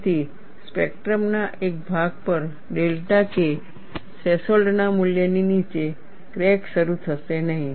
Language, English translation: Gujarati, So, on one part of the spectrum, below a value of delta K threshold, the crack would not initiate